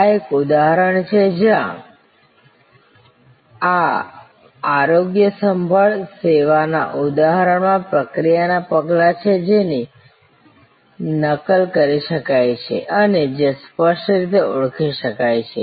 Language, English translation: Gujarati, This is an example, where in this health care service example, there are process steps which can be replicated and which are clearly identifiable